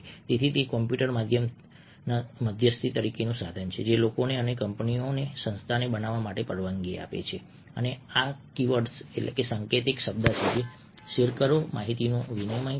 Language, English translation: Gujarati, so it is the computer mediated tool that allows people, people and companies, organization, to create these are the keywords share, exchange information